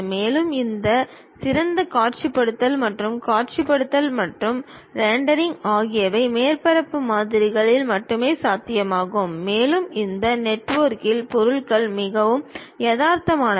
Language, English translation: Tamil, And, better visualization and visualization and rendering is possible only on surface models and the objects looks more realistic in this network